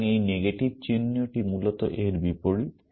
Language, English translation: Bengali, So, this negation sign basically is the opposite of this